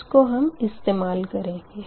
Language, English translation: Hindi, what we are doing